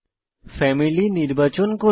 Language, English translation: Bengali, Next lets select Family